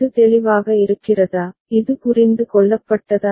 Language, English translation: Tamil, Is it clear, is this is understood